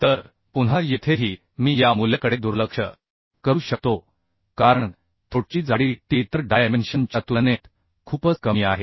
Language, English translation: Marathi, So again here also I can neglect this value because the throat thickness t is quite less compared to other dimension